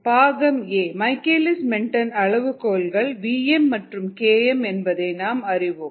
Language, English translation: Tamil, part a: michaelis menten parameters, which we know are v, m and k m n